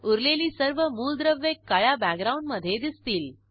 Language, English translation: Marathi, Some elements are shown in black background